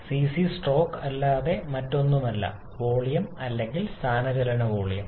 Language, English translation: Malayalam, The cc is nothing but the stroke volume or displacement volume